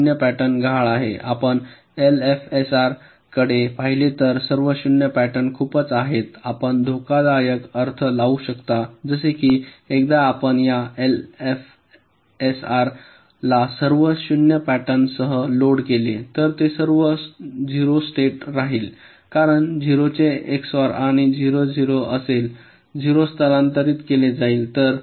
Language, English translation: Marathi, you see, for l f s r, the all zero pattern has, ah, very, you can say, dangerous implication, like, once you load this l f s r with all zero pattern, it will remain in the all zero state because x or of zero and zero will be zero